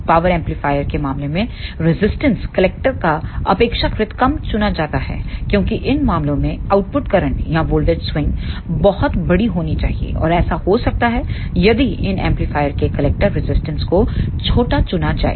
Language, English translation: Hindi, In case of power amplifier the resistance of the collector is chosen relatively low because in these cases the output current or the voltage swing should be very large and which can happen if the collector resistance of these amplifier is chosen as a small